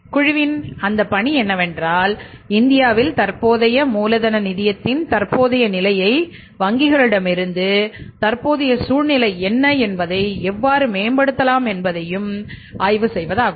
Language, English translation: Tamil, Tenden in 1974 and that task of that group was to study the present state of working capital finance in India from the banks what is the current state what is the current scenario and how it can be improved